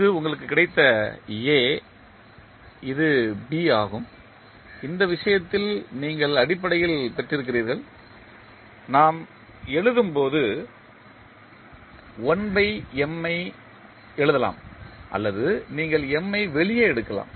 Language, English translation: Tamil, And this is the A which you have got, this is B which you have got basically in this case when we write we can write 1 by M also or you can take M out also